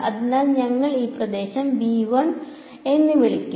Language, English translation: Malayalam, So, we will we will call this region 1